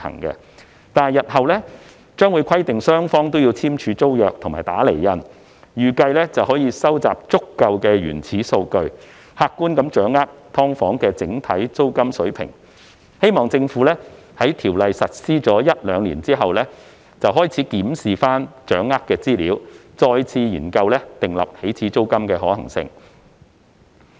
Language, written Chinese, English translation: Cantonese, 但是，日後將會規定雙方簽訂租約及"打釐印"，預計可以收集足夠的原始數據，客觀掌握"劏房"整體租金水平，希望政府在有關法例實施一兩年後，開始檢視所掌握的資料，再次研究訂立起始租金的可行性。, However given that both parties will be required to sign and stamp the tenancy agreement in future I suppose there will be sufficient primary data to conduct an objective analysis on the overall rental level of SDUs . It is hoped that the Government will start to examine the data collected after one or two years upon implementation of the legislation concerned and review the feasibility of setting an initial rent